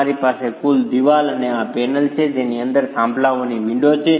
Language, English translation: Gujarati, You have the total wall and this panel within which the windows and the peers are